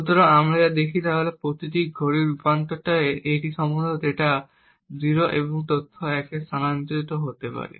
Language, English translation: Bengali, So, what we see is that every tie the clock transitions, it is likely that the data 0 and data 1 may transition